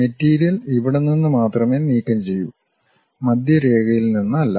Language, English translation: Malayalam, And material is only removed from here, but not from center line